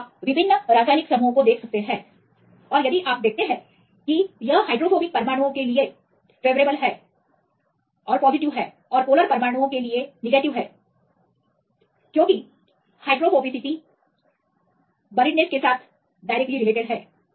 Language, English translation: Hindi, So, you can see different chemical groups and if you see this is positive for the hydrophobic atoms and negative for the charged in polar atoms right because of the inversely proportional between the hydrophobicity as well as the accessible surface area